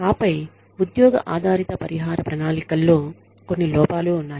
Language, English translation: Telugu, And then there is some drawbacks of the job based compensation plans